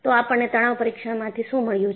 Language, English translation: Gujarati, So, what have we got from the tension test